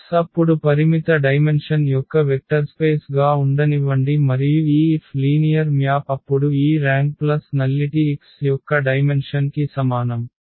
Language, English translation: Telugu, And there is a theorem that let X be a vector space of finite dimension then and let this F be a linear map then this rank plus nullity is equal to dimension of X